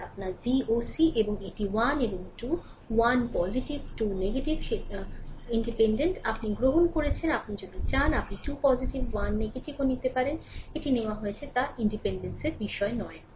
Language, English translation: Bengali, It is your V oc right this is 1 and 2 1 is positive 2 is negative arbitrary, you have we have taken if you want you can take 2 positive 1 negative, it does not matter arbitrary it has been taken right